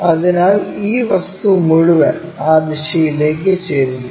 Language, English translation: Malayalam, So, this entire object tilted in that direction